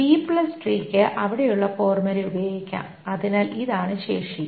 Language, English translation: Malayalam, The B plus tree can be used to the formula that is there